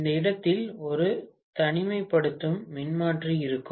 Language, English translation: Tamil, There will be an isolation transformer at this point